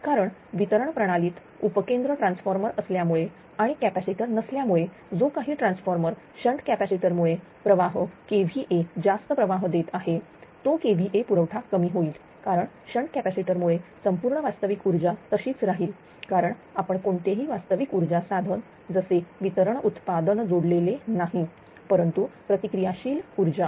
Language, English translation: Marathi, Because distribution system substances transfer mode is there and without capacitor whatever transformer supply ah kv over supplying because of the shunt capacitors that kv supply will be reduced because of this shunt capacitor all the real power will remain same because we are not compensating any connecting any real power devices like such as distributed generation, but reactive power